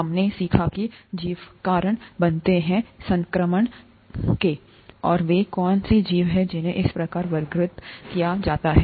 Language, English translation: Hindi, We learnt that organisms cause infection and what organisms there are, how they are classified and so on